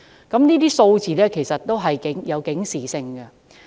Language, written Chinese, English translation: Cantonese, 這些數字其實均有其警示性。, These figures are indeed alarming